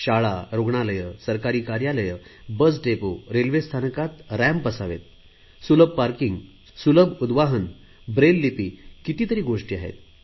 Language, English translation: Marathi, Be it schools, hospitals, government offices, bus depots, railway stations, everywhere ramps, accessible parking, accessible lifts, Braille, many amenities will be made available